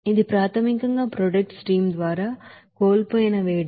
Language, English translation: Telugu, That is basically the heat lost by the product stream